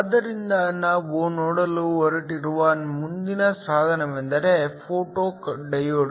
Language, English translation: Kannada, So, The next device we are going to look is a photo diode